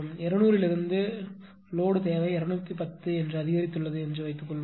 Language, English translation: Tamil, Suppose load demand has increased from 200 to say 210